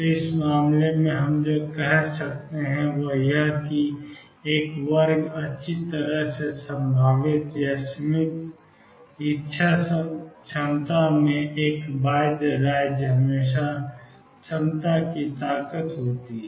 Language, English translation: Hindi, So, in this case what we can say is that in a square well potential or finite will potential, one bound state is always there has the strength of the potential